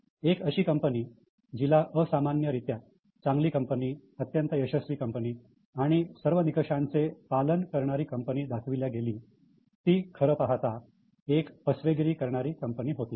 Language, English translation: Marathi, A company which was shown to be extraordinarily good company, highly successful, following all norms, but was completely a fraud